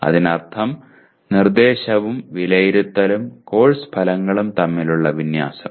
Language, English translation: Malayalam, That means alignment between instruction and assessment and course outcomes that is what it means